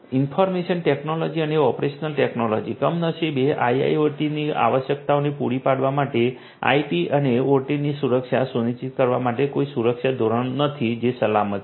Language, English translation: Gujarati, Information technology and operation technology and there is unfortunately no security standards that has that is in place to ensure the security of IT and OT; that means, catering to the requirements of IIoT